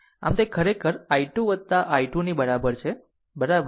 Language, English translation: Gujarati, So, it is actually is equal to i 2 plus i 3, right